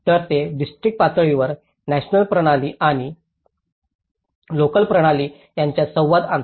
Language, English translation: Marathi, So, it is, it brings the communication between the national system and the local system at a district level